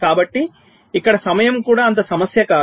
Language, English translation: Telugu, so here time is also not that much of an issue